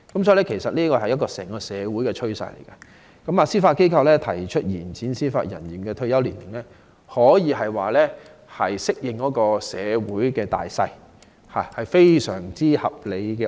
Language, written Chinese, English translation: Cantonese, 這是整個社會的趨勢，司法機構提出延展司法人員的退休年齡，可說是順應社會大勢，這項安排非常合理。, That is the general trend of society . It can be said that the Judiciary proposes to extend the retirement age of Judicial Officers to dovetail with the general trend of society . The arrangement is very reasonable